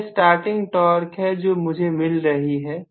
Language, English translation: Hindi, So, this is the starting torque value